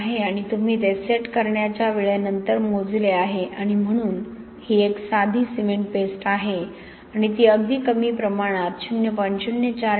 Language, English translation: Marathi, 3 and you measured it after time of setting and so this is a plain cement paste and this is with very small amount 0